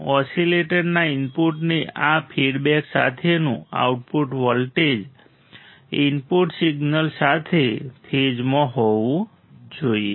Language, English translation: Gujarati, The output voltage with this fed to the input of the oscillator should be in phase with the input signal